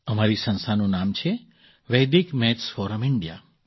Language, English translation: Gujarati, The name of our organization is Vedic Maths Forum India